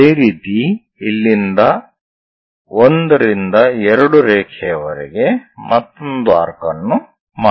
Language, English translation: Kannada, Similarly, make another arc from here 1 to 2 line